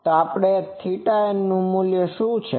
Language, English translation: Gujarati, So, what is the value of theta n